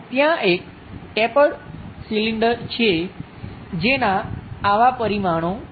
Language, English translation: Gujarati, There is a tapered cylinder having such dimensions